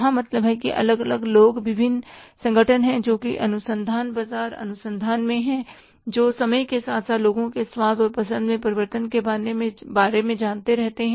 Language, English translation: Hindi, There are different people, different organizations who are into the research, market research and who keep on knowing about the changes in the taste and liking of the people over a period of time